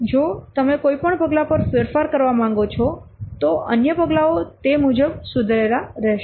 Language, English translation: Gujarati, If you want to make any change at any step, the other steps have to be revised accordingly